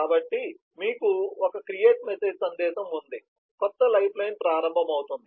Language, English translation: Telugu, so you have a create message, the new lifeline starts